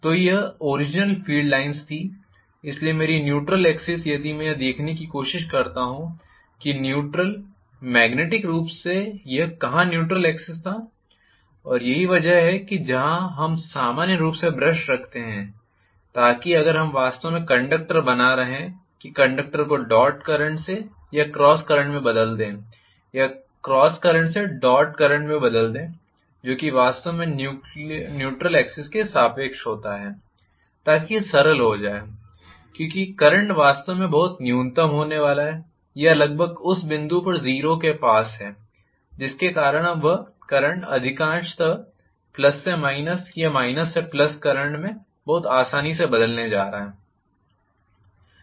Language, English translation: Hindi, So, this was the original field line, so my neutral axis if I try to look where the neutral was magnetically this is what was the neutral axis, and that is where we normally place the brushes, so that if we are actually making the conductors change over from dot to cross current or cross to dot current that happen exactly along the neutral axis so that it became simpler because the current is going to be really really minimal or almost closed to 0 at that point because of which I am going to have mostly the change over from plus to minus current or minus to plus current very smoothly